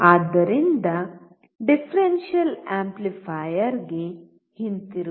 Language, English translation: Kannada, So, coming back to differential amplifier